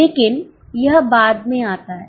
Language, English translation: Hindi, But it comes later on